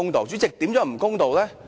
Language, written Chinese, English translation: Cantonese, 主席，如何不公道呢？, President how will it be unfair?